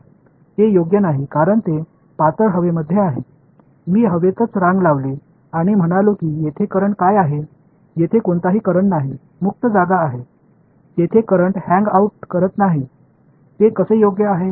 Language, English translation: Marathi, No right because it is in thin air, I just made line in the air and said what is the current over here there is no current it is free space there is no current hanging out there how will they be right